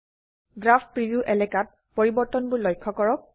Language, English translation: Assamese, Observe all the changes in the Graph preview area